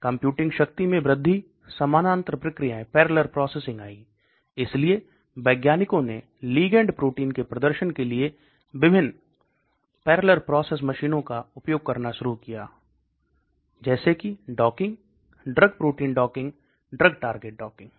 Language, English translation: Hindi, Computing power increase, parallel processes came, so scientists started using different parallel processing machines for performing ligand protein docking, drug protein docking, drug target docking